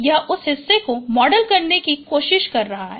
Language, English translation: Hindi, It is trying to model that part